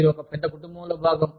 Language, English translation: Telugu, You are part of one big family